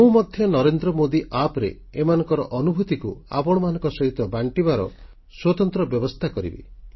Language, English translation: Odia, I too am making a separate arrangement for their experiences on the Narendra Modi App to ensure that you can read it